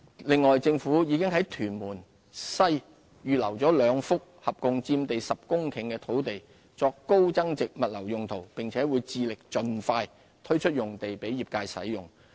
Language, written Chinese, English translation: Cantonese, 另外，政府已在屯門西預留兩幅共佔地約10公頃的土地作高增值物流用途，並會致力盡快推出用地給業界使用。, The Government has reserved two more sites in Tuen Mun West totalling around 10 hectares for high value - added logistics services . We will endeavour to release the land for use by the industry as early as practicable